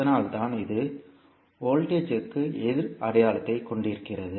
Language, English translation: Tamil, That is why it was having the opposite sign for voltage